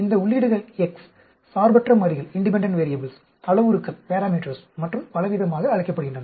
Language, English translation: Tamil, These inputs are called x’s, independent variables, parameters and so on